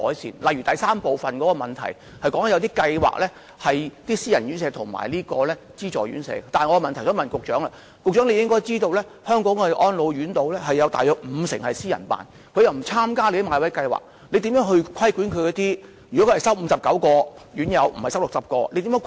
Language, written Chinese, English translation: Cantonese, 主體答覆第三部分是有關私人院舍和資助院舍的計劃，我的質詢是，局長應知道香港的安老院約五成是由私人開辦的，如果它們不參加政府的買位計劃，政府如何規管它們呢？, Part 3 of the main reply concerns various projects for private homes and subvented homes . My question is As the Secretary should know about 50 % of RCHEs in Hong Kong are under private operation . If they do not participate in the bought place schemes of the Government how does the Government regulate them?